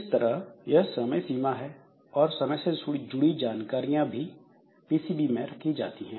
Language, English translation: Hindi, So, this type of time related time related information so they should be kept into the PCB